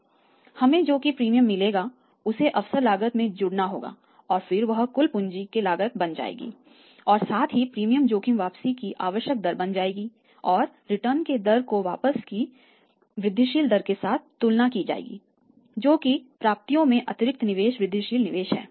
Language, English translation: Hindi, So, that premium will have to add to the opportunity cost and then that total will become the cost of capital + the premium risk will become the required rate of return and that required of rate of return should be compared with the incremental rate of return with that additional investment incremental investment in the receivables